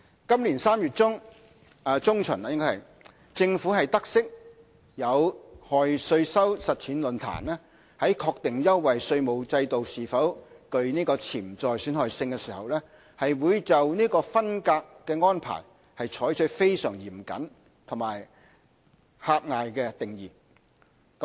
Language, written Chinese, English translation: Cantonese, 今年3月中旬，政府得悉有害稅收實踐論壇在確定優惠稅務制度是否具潛在損害性時，會就"分隔"安排，採取非常嚴謹及狹隘的定義。, In mid - March 2017 the Administration was informed that FHTP would adopt a rigid and narrow interpretation on the ring - fencing factor when determining whether a preferential tax regime was potentially harmful